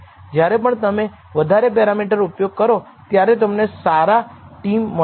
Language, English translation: Gujarati, Whenever you use more parameters typically you should get a better t